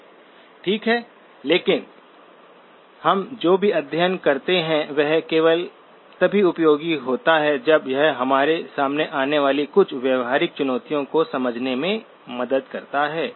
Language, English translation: Hindi, Okay, but all of what we study is useful only if it helps us understands some of the practical challenges that we encounter